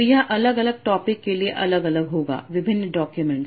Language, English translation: Hindi, So this will be different for different documents